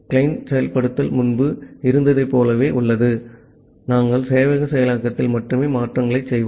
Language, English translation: Tamil, The client implementation remains as it was earlier, we will only make change at the server implementation